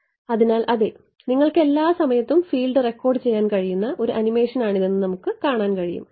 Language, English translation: Malayalam, So, yeah this we can see this is the animation at every time instant you can record the field